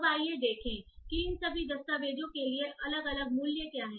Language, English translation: Hindi, Now let us see how what are the different values that we get for each of these documents